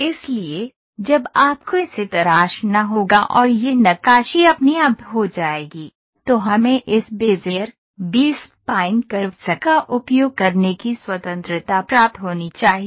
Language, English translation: Hindi, So, when you have to carve it and get this carving done automatically, then we are supposed to get this get to this freedom of using this Bezier, B spline curves